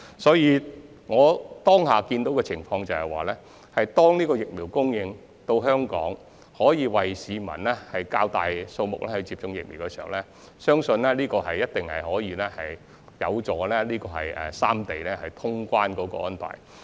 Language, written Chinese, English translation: Cantonese, 所以，我目前預見的情況是，疫苗供應到港後，可以為較大數目的市民接種，相信這一定有助三地恢復通關安排。, I therefore envisage that a larger number of people will get vaccinated once the vaccine supplies arrive in Hong Kong . I believe this will be conducive to reopening the boundary control points among Guangdong Hong Kong and Macao